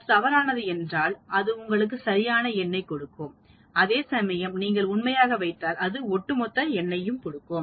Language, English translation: Tamil, If it is false it will give you the exact number whereas if you put true it gives you the cumulative number